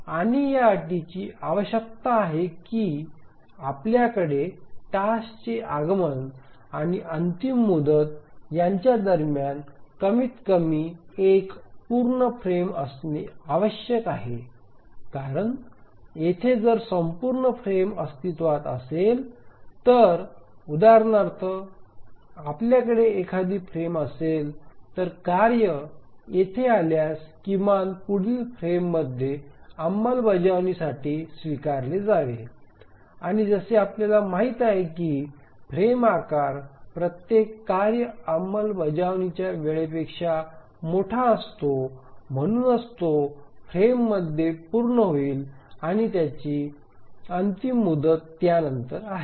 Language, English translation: Marathi, Because if there is a full frame existing here, let's say we have a frame here, then if the task arrives here, then it can at least be taken up execution in the next frame and we know that the frame size is larger than every task execution time and therefore it will complete within the frame and its deadline is after that